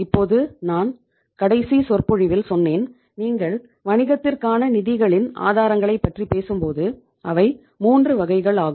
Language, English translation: Tamil, Now I told you in the last lecture also that when you talk about the sources of the funds for the business, they are 3